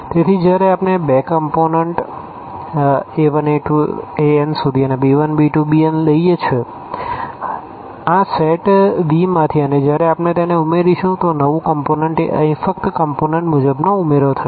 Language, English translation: Gujarati, So, when we take these two elements here a 1, a 2, a n and b 1, b 2, b n from this set V and when we add them, so, the new element will be just the component wise addition here